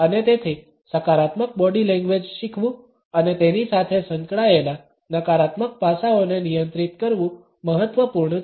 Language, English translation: Gujarati, And therefore, it is important to learn positive body language and control the negative aspects associated with it